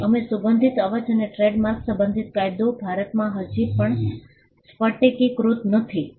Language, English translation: Gujarati, So, we the law with regard to smell sound and trademarks is still not crystallized in India